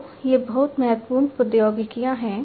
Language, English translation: Hindi, So, these are very important technologies